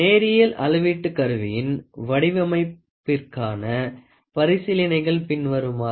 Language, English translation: Tamil, Following are the considerations for design of linear measurement instrument